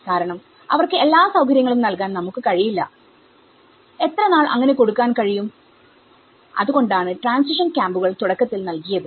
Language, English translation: Malayalam, Because, we cannot keep providing them all the facilities, for how long one can provide, so that is where the transition camps have been provided initially